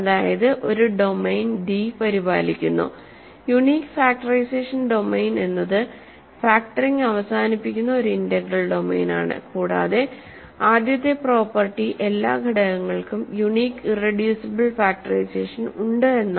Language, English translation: Malayalam, So, unique factorization domain is one which is an integral domain where factoring terminates and because of the first property every element has a unique irreducible factorization